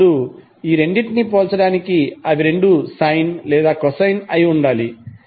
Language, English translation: Telugu, Now in order to compare these two both of them either have to be sine or cosine